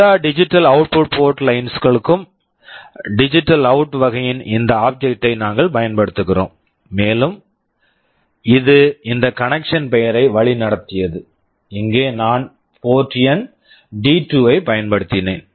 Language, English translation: Tamil, For all digital output port lines, we use this object of type DigitalOut, and led is the name of this connection, and here I have used port number D2